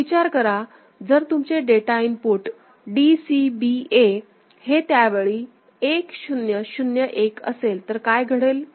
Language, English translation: Marathi, So, if you have got your DCBA data input at that time is 1 0 0 1, what will happen